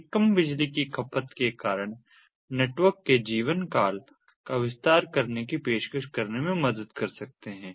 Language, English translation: Hindi, these can help in offering extended life time to the networks, extending the lifetime of the network because of the reduced power consumption